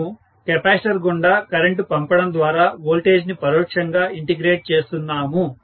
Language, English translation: Telugu, So, we are integrating the voltage indirectly by passing the current through a capacitor